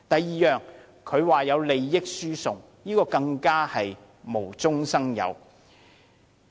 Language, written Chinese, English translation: Cantonese, 此外，他說有利益輸送，這更是無中生有。, Moreover he said there was transfer of benefits . This was also sheer fabrication